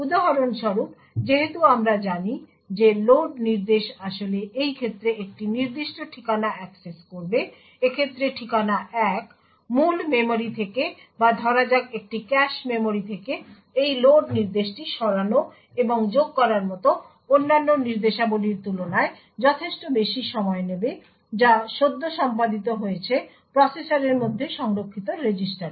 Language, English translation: Bengali, For example since we know that the load instruction actually would access a particular address in this case address 1 from the main memory or from say a cache memory this load instruction would take considerably longer than other instructions like the move and add which are just performed with registers stored within the processor